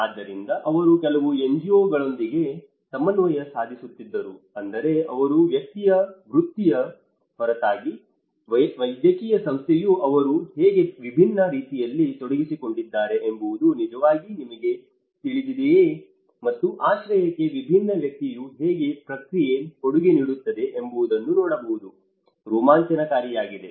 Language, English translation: Kannada, So, they were coordinating with some NGOs, so which means even a medical body apart from his medical profession how he is engaged in a different manner has actually you know and one side it is exciting to see how a different profession is contributing to the shelter process